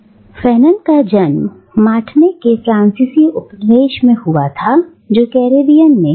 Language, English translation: Hindi, Now, Fanon was born in the French colony of Martinique which is in the Caribbean